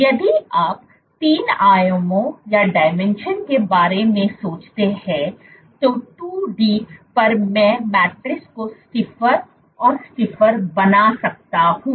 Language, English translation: Hindi, If you think of 3 dimensions, on 2D I can keep on making the matrix stiffer and stiffer